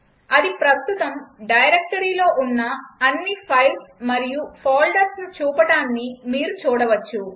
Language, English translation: Telugu, You can see it lists all the files and folders in the current directory